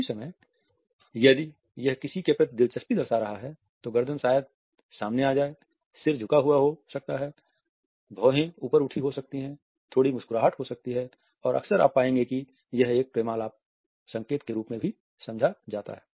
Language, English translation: Hindi, At the same time is somebody is interested, then the neck maybe exposed, the head may be tilted the eyebrows may be raised there may be a little smile and often you would find that this is understood as a courtship signal also